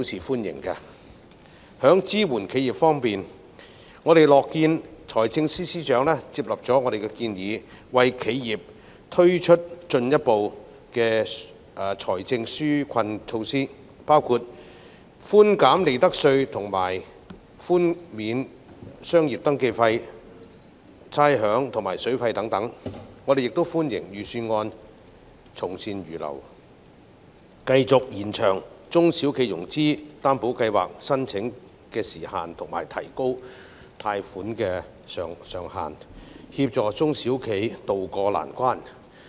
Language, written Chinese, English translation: Cantonese, 在支援企業方面，我們樂見財政司司長接納我們的建議，為企業推出進一步財政紓困措施，包括寬減利得稅及寬免商業登記費、差餉及水電費等，我們亦歡迎預算案從善如流，繼續延長中小企融資擔保計劃的申請時限及提高貸款上限，協助中小企渡過難關。, In regard to supporting enterprises we are pleased to see that FS has accepted our proposal and introduced further financial relief measures for enterprises eg . providing profits tax concessions and waiving business registration fees rates water and sewage charges as well as providing an electricity charge subsidy . We also welcome the fact that the Budget has adopted good advice and will extend the application period of the SME Financing Guarantee Scheme and further increase the maximum loan amount per enterprise to help small and medium enterprises tide over difficulties